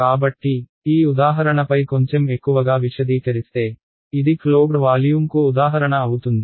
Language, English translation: Telugu, So, elaborating a little bit more on this example, this was an example of a closed volume